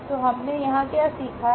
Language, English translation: Hindi, So, what we have learned here